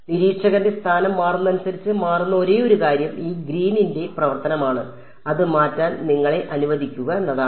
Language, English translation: Malayalam, The only thing that changes as the observer location changes is this Green’s function, that is all let you have to change